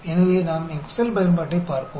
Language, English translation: Tamil, So, let us look at the Excel function